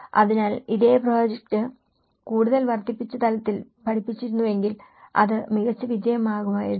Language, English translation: Malayalam, So, if this same project has been taught in a more of an incremental level, that would have been a better success